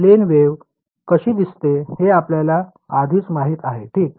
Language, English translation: Marathi, We already know what a plane wave looks like right